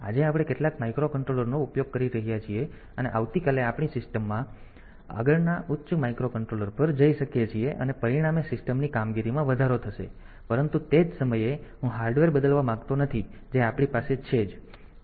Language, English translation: Gujarati, So, tomorrow we can we can we go to the next higher microcontroller in my system as a result the system performance will be enhanced and, but at the same time I do not want to change the hardware that we have too much